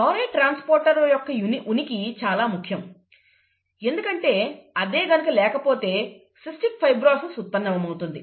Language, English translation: Telugu, The presence of the chloride transporter is important, because if that is absent, cystic fibrosis arises